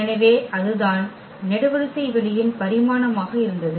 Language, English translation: Tamil, So, that was the dimension of the column space that was the rank there